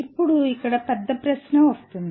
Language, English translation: Telugu, Now here comes the bigger question